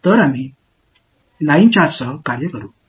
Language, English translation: Tamil, So, we will deal with a line charge